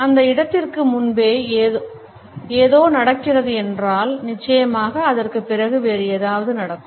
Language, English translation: Tamil, There has been something happening before that point and there would of course, something else would take place after that